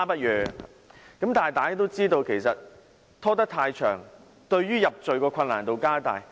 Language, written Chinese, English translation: Cantonese, 然而，大家都知道，拖延太久才舉報，入罪的難度就更高。, Yet we all know that conviction will be made more difficult when a report is made after a long time